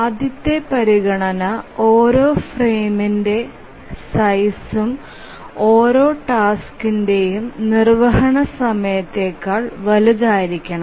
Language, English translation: Malayalam, The first consideration is that each frame size must be larger than the execution time of every task